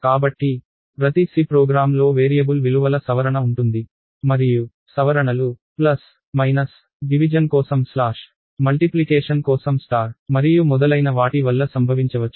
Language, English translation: Telugu, So, each C program is a modification of variable values and the modification can happen due to operations like, plus, minus, slash which is for division, star for multiplication and so, on